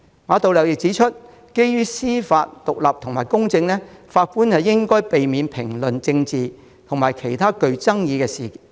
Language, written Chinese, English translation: Cantonese, 馬道立指出，為了司法獨立及公正，法官應避免評論政治及其他具爭議的事宜。, According to Geoffrey MA for the sake of judicial independence and fairness judges should avoid commenting on political and other controversial issues